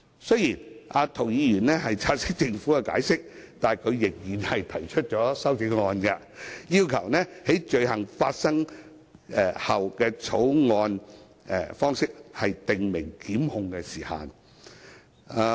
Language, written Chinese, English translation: Cantonese, 雖然涂議員察悉政府的解釋，但他仍然提出修正案，要求採用"於犯罪後"的草擬方式訂明檢控時限。, Although Mr James TO has taken note of the Governments explanation he has still proposed a CSA to request the adoption of the formulation of after the commission of the offence in prescribing the time limit for prosecution